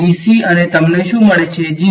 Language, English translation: Gujarati, Dc and what you get 0